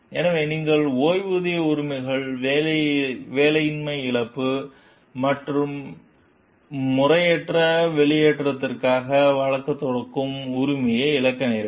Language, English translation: Tamil, So, you therefore, then you may be losing pension rights, unemployment compensation, and the right to sue for improper discharge